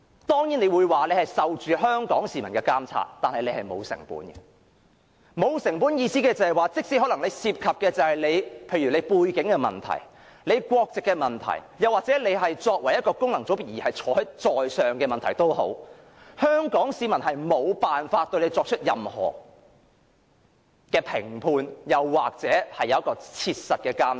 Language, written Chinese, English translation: Cantonese, 當然，主席會說自己受香港市民的監察，但他是沒有成本的，沒有成本的意思是，即使他可能涉及背景的問題、國籍的問題，又或是他作為功能界別議員卻可坐上主席之位的問題，香港市民也無法對他作出任何批判或切實的監察。, Certainly the President will say that he is monitored by the people of Hong Kong but he does not bear any cost . Not bearing any cost means that even though there may be queries about his background his nationality or his assumption of the Presidents seat despite being a Member returned by a functional constituency the people of Hong Kong are unable to censure him or practically monitor him in any way